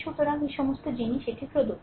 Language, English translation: Bengali, So, all this things are a given